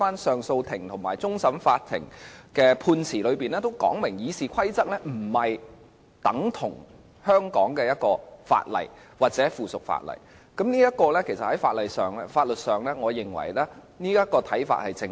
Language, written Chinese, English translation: Cantonese, 上訴法庭及終審法院的判詞清楚說明《議事規則》不等同香港的法例或附屬法例，我認為這種看法在法律上是正確的。, As clearly stated in the judgments of the Court of Appeal and the Court of Final Appeal RoP is not the same as the laws or subsidiary legislation of Hong Kong which I think is legally correct